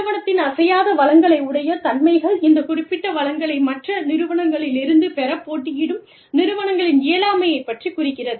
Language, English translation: Tamil, And, firm resource immobility, specifically deals with, the inability of competing firms, to obtain these specific resources, from other firms